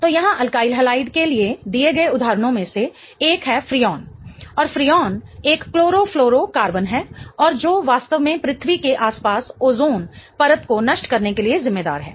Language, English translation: Hindi, So, one of the examples given for alkyll halide here is Freon and Freon is a chloroflorocarbon and which is really responsible for depleting the ozone layer around Earth